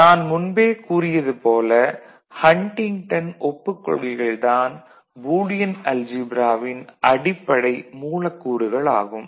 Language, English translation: Tamil, So, as I said Huntington postulates form the you know, basic premise of this Boolean algebra